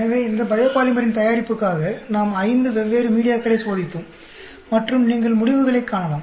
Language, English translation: Tamil, So, we tested five different media for the production of these biopolymer and you can see the results